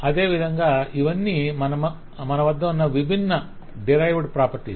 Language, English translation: Telugu, so these are all different derived properties that we have